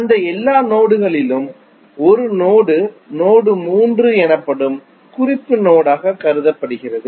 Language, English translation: Tamil, Out of all those nodes one node is considered as a reference node that is node 3